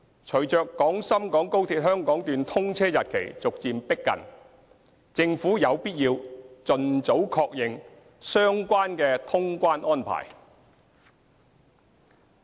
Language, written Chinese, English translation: Cantonese, 隨着廣深港高鐵香港段通車日期逐漸逼近，政府有必要盡早確認相關的通關安排。, As the date of commissioning of the Hong Kong Section of XRL gradually approaches it is necessary for the Government to confirm the relevant clearance arrangement as early as possible